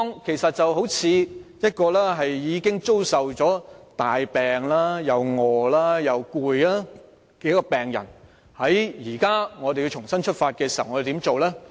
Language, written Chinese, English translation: Cantonese, 其實情況有如一名身患重病、又餓又累的病人，現在如要重新出發，我們應怎樣做呢？, The situation can actually be compared to a seriously - ill patient who is hungry and tired . In order to revitalize this patient what should we do?